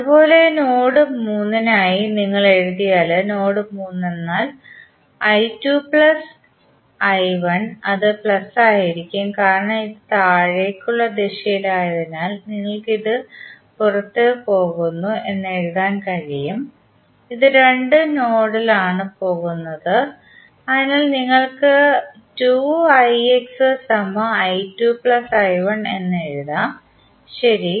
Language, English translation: Malayalam, Similarly, for node 3 if you write in this case node 3 would be i 2 plus i 1 plus since it is in downward direction so you can write this is going out, these two are going in the node, so you can write 2 i X is equal to i 1 plus i 2, right